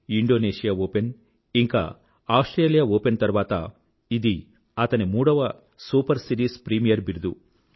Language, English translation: Telugu, After Indonesia Open and Australia Open, this win has completed the triad of the super series premiere title